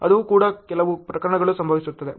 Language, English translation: Kannada, That is also some cases happens